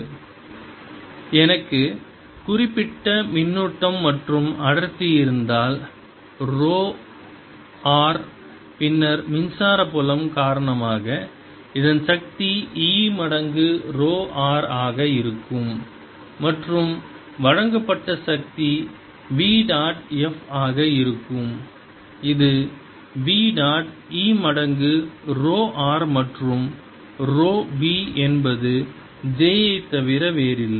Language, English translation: Tamil, if i have certain charge and density is rho r, then the force on this due to the electric field is going to be e times rho r and the power delivered is going to be v dot f, which is v dot e times rho r and rho v is nothing but j